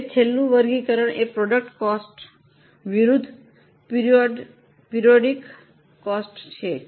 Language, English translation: Gujarati, Now, the last classification is product cost versus period cost